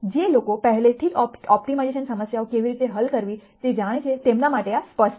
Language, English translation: Gujarati, For people who already know how to solve optimization problems this would be obvious